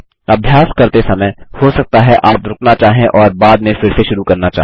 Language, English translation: Hindi, While practicing, you may want to pause and restart later